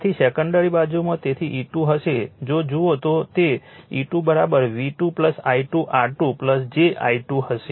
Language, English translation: Gujarati, Therefore, in the secondary side secondary side so E 2 will is equal to if you look, E 2 will be is equal to V 2 plus I 2 R 2 plus j I 2 it